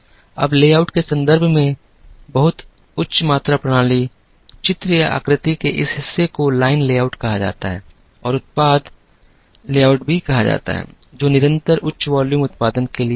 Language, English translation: Hindi, Now, in terms of layout, the very high volume systems, this part of the picture or the figure have what is called line layout and also called the product layout, which was meant for continuous high volume production